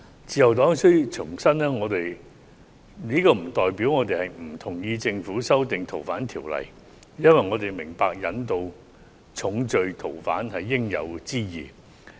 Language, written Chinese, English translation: Cantonese, 自由黨必須重申，這不代表我們不同意政府修訂《逃犯條例》，因為我們明白引渡重罪逃犯是應有之義。, The Liberal Party must reiterate that this does not represent our disagreement with the Governments amendment to the Fugitive Offenders Ordinance because we understand that it is our responsibility to extradite fugitive offenders of serious crimes